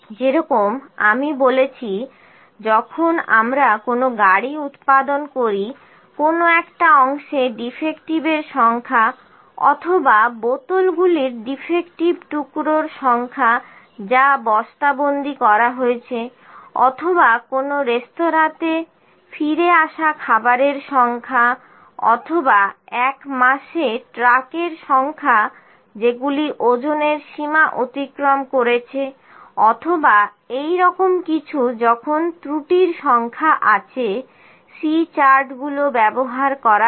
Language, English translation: Bengali, As I said when we manufacture a car the number of defectives in a specific section, or the number of defective pieces of the bottles which were packed, or the number of a return meals in a restaurant, or of the number of trucks that exceed their weight limit in a month, or like this when number of defects are there, C charts are used